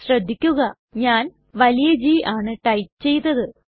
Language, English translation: Malayalam, Please notice that I have typed G in capital letter